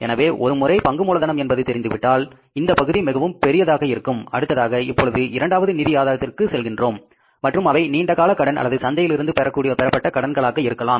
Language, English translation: Tamil, Once that share capital is known and this side is still very big, now you have to go for the second source of financing and that is in terms of the long term loans or borrowing from the market